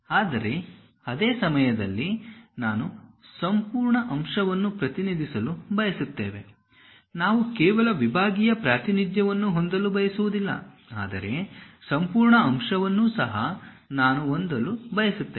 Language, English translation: Kannada, But at the same time, we want to represent the entire element; we do not want to have only sectional representation, but entire element also I would like to really see